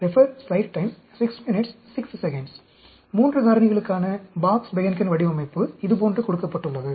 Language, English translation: Tamil, The Box Behnken Design for 3 factors is given like this